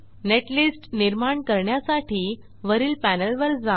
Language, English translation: Marathi, For generating netlist, go to the top panel